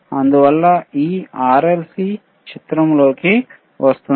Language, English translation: Telugu, tThus this RLC comes into picture